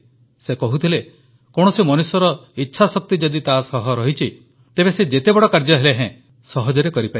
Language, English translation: Odia, He says that if anyone has will power, one can achieve anything with ease